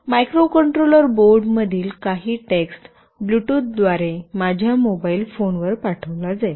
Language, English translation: Marathi, Some text from the microcontroller board will be sent to my mobile phone through Bluetooth